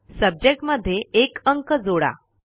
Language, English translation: Marathi, Add the number 1 in the Subject